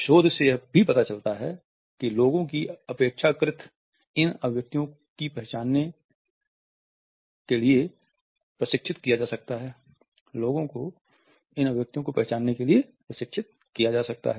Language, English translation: Hindi, Research has also shown that people can be trained to identify these expressions relatively